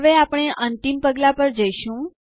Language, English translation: Gujarati, Now, let us go to the final step